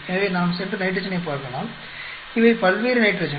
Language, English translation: Tamil, So, we may go and look into the nitrogen, these are the various nitrogen